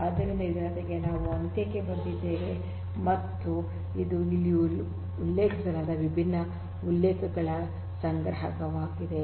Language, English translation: Kannada, So, with this we come to an end and this is the assortment of different references that is listed for here